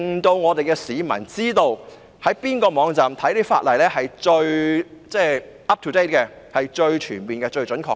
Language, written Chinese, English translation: Cantonese, 這樣市民便可知道哪個網站所載的法例是最 up-to-date、最全面和最準確的。, The general public can then know where to find the most up - to - date exhaustive and accurate Ordinances online